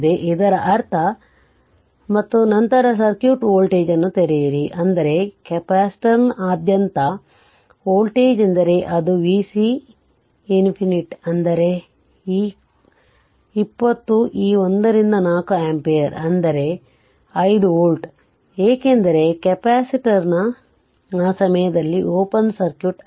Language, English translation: Kannada, That means and then then open circuit voltage, I mean voltage across the capacitor that v c infinity right, that is v c infinity this is the this is your voltage v c infinity this is the voltage right is equal to your this 20 into this 1 by 4 ampere, that is is equal to 5 volt right, because, capacitor is open circuit at that time